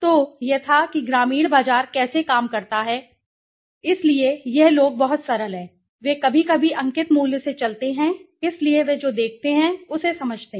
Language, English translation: Hindi, So, this was how the rural market works right, so this people they are very simple they go by the face value sometimes right, so they understand by what they see okay